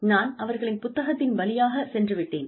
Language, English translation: Tamil, Since, I have gone through their book